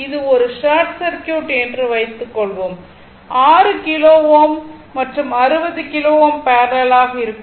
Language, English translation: Tamil, Suppose this is short circuit; this is short circuit right, then 6 kilo ohm and 60 kilo ohm are in parallel right